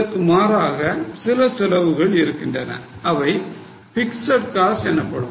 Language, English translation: Tamil, As against this there are certain costs which are known as fixed costs